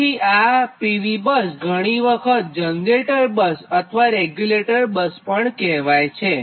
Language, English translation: Gujarati, sometimes we call p v bus, right, or generator buses or regulated buses, right